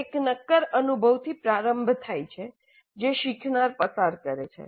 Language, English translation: Gujarati, It starts with a concrete experience, a concrete experience that the learner undergoes